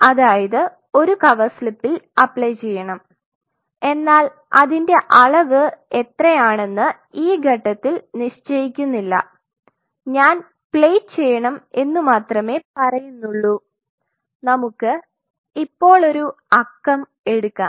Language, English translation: Malayalam, So, I say I want to play it in a cover slip whatever size I am not defining that at this stage, I say I want to plate say for example, let us take a number now